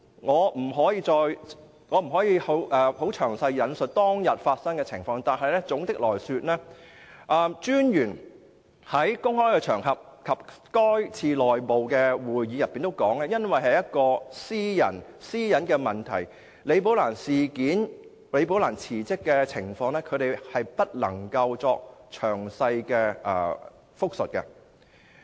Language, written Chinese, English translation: Cantonese, 我不可以詳述當天的情況，但總的來說，廉政專員在公開場合和該次內部會議中也表示，基於私隱問題，他不能就"李寶蘭事件"、李寶蘭辭職的問題給予詳細答覆。, I cannot go into the details of the meeting that day . But generally speaking according to his remarks on public occasions and also at that internal meeting the ICAC Commissioner cannot give a detailed reply to the questions about the Rebecca LI incident or Rebecca LIs resignation for reason of privacy